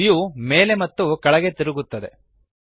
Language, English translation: Kannada, The view rotates downwards